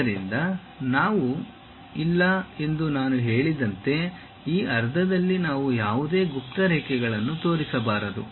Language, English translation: Kannada, So, as I said we do not, we should not show any hidden lines on this half